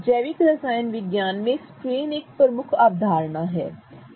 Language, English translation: Hindi, Strain is a key concept in organic chemistry